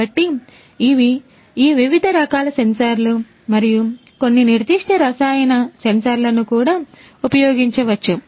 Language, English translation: Telugu, So, these are these different types of sensors and also some you know specific chemical sensors could also be used